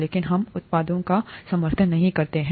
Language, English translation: Hindi, But we do not endorse the products